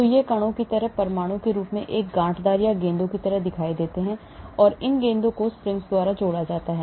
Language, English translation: Hindi, so it is lumped together as atom like particles, , it is like balls, then these balls are connected by springs